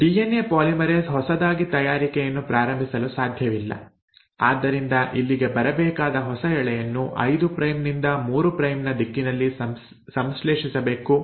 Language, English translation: Kannada, The DNA polymerase de novo cannot start making, so if the new strand which has to come here has to get synthesised in 5 prime to 3 prime direction